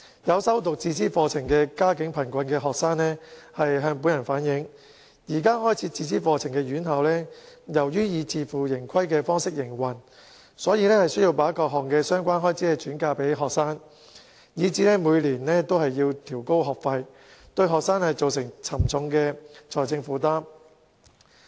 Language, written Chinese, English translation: Cantonese, 有修讀自資課程的家境貧困學生向本人反映，開設自資課程的院校由於以自負盈虧方式營運，所以需把各項相關開支轉嫁予學生，以致每年均調高學費，對學生造成沉重的財政負擔。, Some students pursuing self - financing programmes who come from poor families have relayed to me that institutions operating self - financing programmes have to pass on various related expenses to students as they operate such programmes on a self - financing basis . As a result those institutions raise their tuition fees each and every year which have posed a heavy financial burden on students